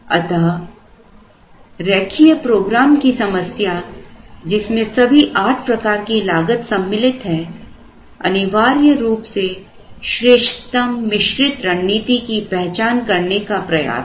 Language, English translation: Hindi, So, the problem which included all the eight costs the linear programming problem was essentially trying to identify the best mixed strategy